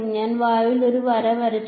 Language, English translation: Malayalam, I just drew a line in air